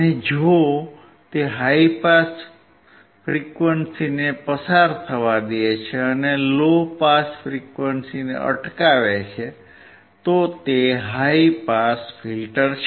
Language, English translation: Gujarati, If it allows high pass frequency to pass, and it rejects low pass frequency, it is high pass filter